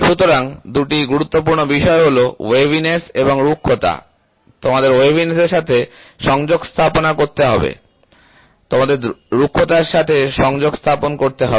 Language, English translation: Bengali, So, that two important things are waviness and roughness; you have to contact waviness, you have to contact roughness